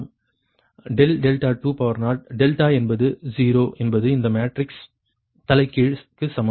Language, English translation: Tamil, right then the delta delta zero, delta is a zero is equal to this matrix inverse